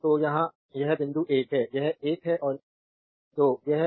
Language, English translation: Hindi, So, here it is point 1 it is 1 and 2 this is a lamp